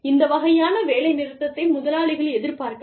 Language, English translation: Tamil, Employers may anticipate, this kind of a strike